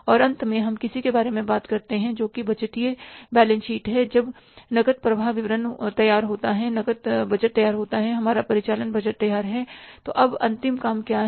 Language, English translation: Hindi, Now finally we talk about something which is the budgeted balance sheet that after that cash cash flow statement is ready, cash budget is ready, our operating budget is ready, then what is now the final thing to be done